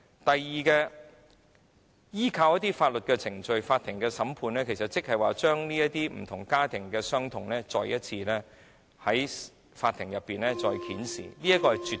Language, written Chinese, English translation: Cantonese, 第二，如果訴諸法律程序，審訊過程其實會將家庭所承受的傷痛再次在法庭上揭示出來。, Second if legal proceedings are initiated the families concerned must recount their agony in court again during the trial process